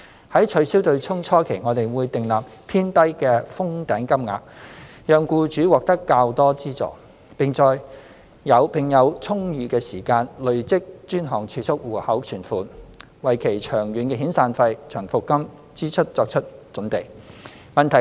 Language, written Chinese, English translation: Cantonese, 在取消"對沖"初期，我們會訂立偏低的"封頂"金額，讓僱主獲得較多資助，並有充裕的時間累積專項儲蓄戶口存款，為其長遠的遣散費/長服金支出作好準備。, During the initial years after the abolition we will set a low capped amount so that employers will receive greater support and have more time to save up in their DSAs for getting prepared to shoulder their SPLSP liabilities in the long run